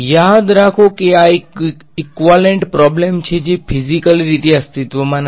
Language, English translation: Gujarati, Remember this is a equivalent problem this does not physically exist